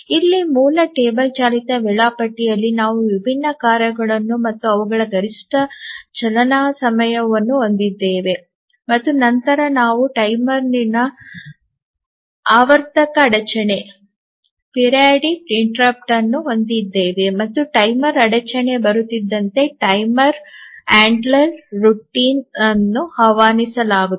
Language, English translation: Kannada, So, here in the basic treble driven scheduler we have the different tasks and their maximum runtime and then we have a periodic interrupt from a timer and as the timer interrupt comes the timer handler routine is invoked the timer handler routine keeps track of which is the task that is running now and that is given by the entry